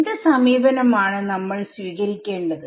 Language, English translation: Malayalam, So, what should my approach be